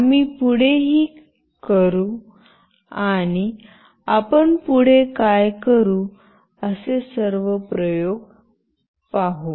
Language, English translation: Marathi, We will move on and we will see that what all experiments we can do next